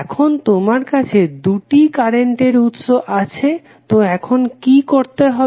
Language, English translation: Bengali, Now, you have now two current sources, so what you have to do